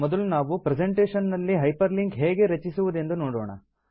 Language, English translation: Kannada, First we will look at how to hyperlink with in a presentation